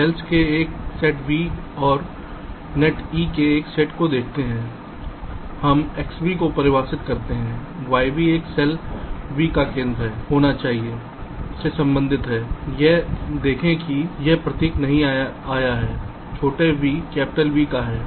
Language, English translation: Hindi, given a set of cells v in a set of nets e, we define x, v, y v to be the center of a cell v, there should be belongs to see this symbol has not come small v belongs to capital v